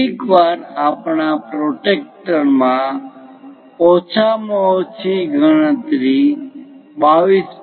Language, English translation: Gujarati, Sometimes our protractor cannot have least count like 22